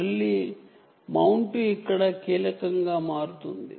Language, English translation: Telugu, so again, mounting becomes critical